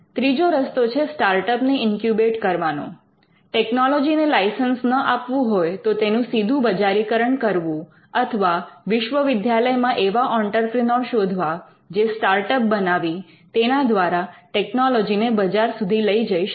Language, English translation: Gujarati, And thirdly it can be buy incubating startups, commercialization of a technology if the university or the institute does not want to license the technology or if it finds that there are entrepreneurs within the university who want to create a startup and take the technology to the market